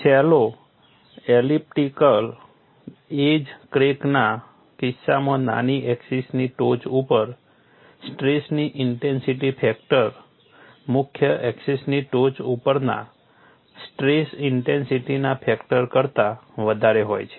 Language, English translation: Gujarati, In the case of a shallow elliptical edge crack, the stress intensity factor at the tip of the minor axis is higher than the stress intensity factor at the tip of the major axis